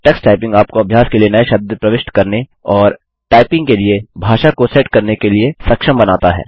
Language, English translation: Hindi, Tuxtyping also enables you to enter new words for practice and set the language for typing